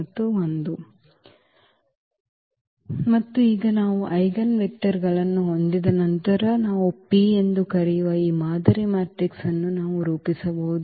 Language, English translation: Kannada, And now once we have the eigenvectors we can formulate this model matrix which we call P